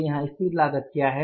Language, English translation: Hindi, So, what is the fixed cost here